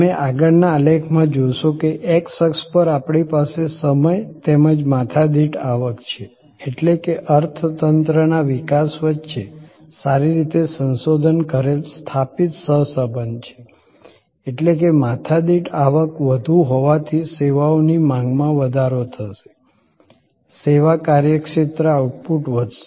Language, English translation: Gujarati, As you will see in the previous graph, that on the x axis we have time as well as per capita income; that means, there is a tight well researched well established co relation between the development of the economy; that means, that is more per capita income will enhance the demand for services, service business outputs will increase